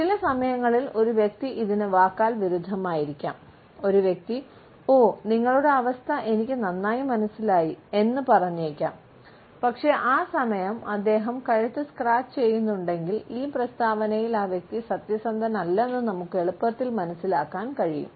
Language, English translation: Malayalam, Sometimes we find that verbally a person may contradict it, a person may say oh, I understand very well your situation, using the neck scratch, but then we can easily understand that the person is not truthful in this statement